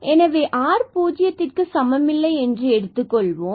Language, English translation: Tamil, So, let us assume here r is positive, r can be negative